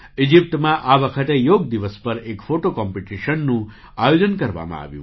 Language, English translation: Gujarati, This time in Egypt, a photo competition was organized on Yoga Day